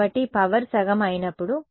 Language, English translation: Telugu, So, when power becomes half